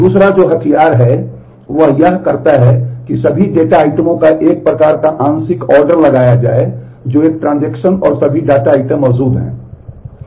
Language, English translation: Hindi, The other which is smarter is what it does is imposes a kind of partial ordering of all the data items that a transaction and all the data items that exist